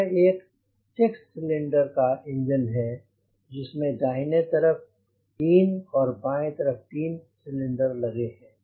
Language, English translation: Hindi, these are three cylinders: first, second and third cylinder